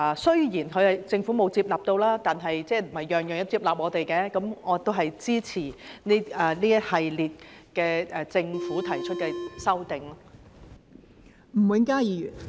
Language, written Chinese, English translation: Cantonese, 雖然政府沒有接納，但不是我們每項意見政府都會接納，我亦都支持這一系列政府提出的修正案。, The Government did not accept this proposal but it is not that every one of our proposals will be accepted by the Government . I support all the amendments proposed by the Government